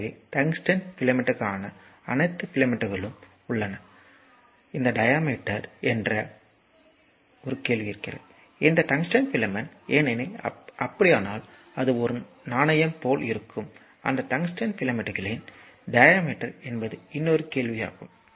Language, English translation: Tamil, So, they have all the filaments tungsten filaments say so, a question to what is the diameter on this, your this tungsten filament because if you see then you will find it is look like a coin right and what is that your diameter of this tungsten filament this is a question to you